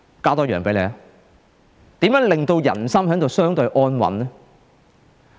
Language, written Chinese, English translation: Cantonese, 我再提出一點，如何令人心相對安穩呢？, I add one more point . What should be done to pacify the people?